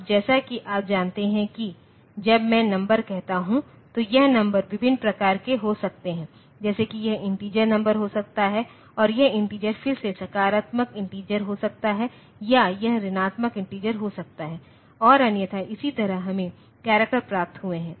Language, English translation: Hindi, Now, as you know when I say number, so, this number can be of different type; like it can be integer number and this integer can again be positive integer or it can be negative integer and otherwise, similarly we have got characters